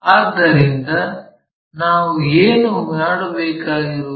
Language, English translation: Kannada, So, what we have to do is